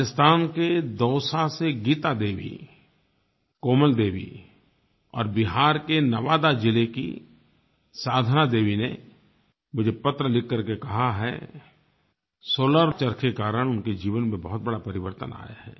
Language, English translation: Hindi, Geeta Devi and Komal Devi from Dausa in Rajasthan, and Sadhna Devi from Nawada district in Bihar have written to me saying that slar charkhas has made remarkable changes in their lives